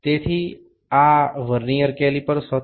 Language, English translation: Gujarati, So, this was the Vernier caliper